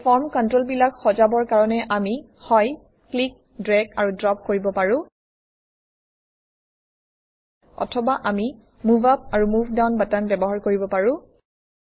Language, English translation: Assamese, To order these form controls, we can either, click, drag and drop the items Or we can use the Move up, or Move down buttons